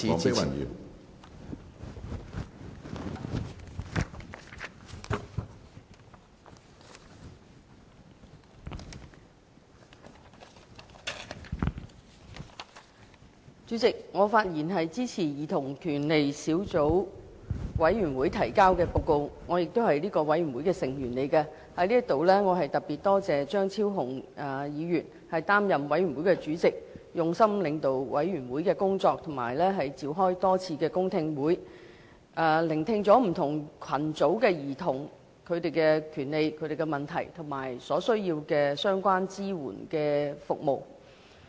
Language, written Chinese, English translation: Cantonese, 主席，我發言支持兒童權利小組委員會提交的報告，我亦是小組委員會的成員，在此我特別多謝張超雄議員擔任小組委員會的主席，用心領導小組委員會的工作和多次召開公聽會，聆聽不同群組兒童的權利、問題和所需要的相關支援服務。, President I speak in support of the report submitted by the Subcommittee on Childrens Right . I am also a member of the Subcommittee . Here I wish to particularly thank Dr Fernando CHEUNG for chairing the Subcommittee and for his dedication and efforts in leading the work of the Subcommittee and holding a number of public hearings to listen to views on the rights of different groups of children their problems and the relevant support services required by them